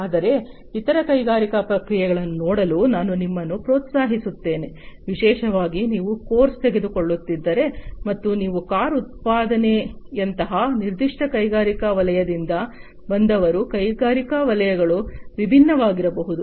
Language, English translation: Kannada, But, I would also encourage you to look at other industrial processes, particularly if you are, you know, if you are taking a course, and you come from a particular industry sector like car manufacturing could be coming from different are the industrial sectors